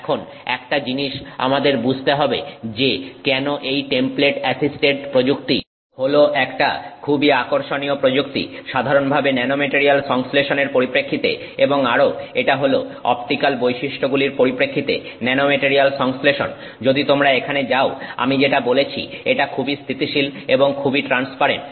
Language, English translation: Bengali, Now, one of the things that we should understand why this is a very interesting technique to use this templated assisted technique from the perspective of nanomaterial synthesis in general and also the nanomaterial synthesis from the perspective of optical properties is that if you go here as I said it is very stable and it is very transparent